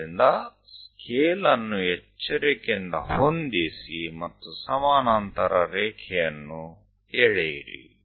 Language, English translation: Kannada, So, adjust the scale carefully and draw a parallel line